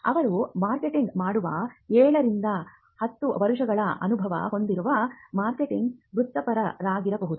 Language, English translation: Kannada, They could be a marketing professional with seven to ten year experience who do the marketing site